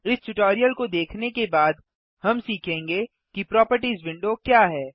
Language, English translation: Hindi, So, this completes our tutorial on the Properties window